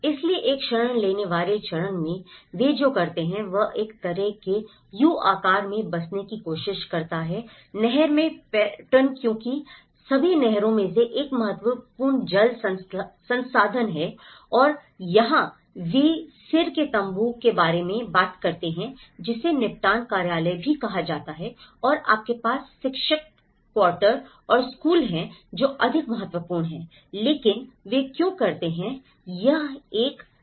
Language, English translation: Hindi, So, at an asylum seeker stage what they do was they try to settle down in a kind of U shaped pattern in the canal because first of all canal is one of the important water resource and here, they also have talk about the tent of the head which is also referred as the settlement office and you have the teachers quarters and the school which are more important but why do they make this is a Leh Manali Highway